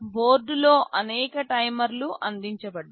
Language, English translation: Telugu, There are several timers provided on board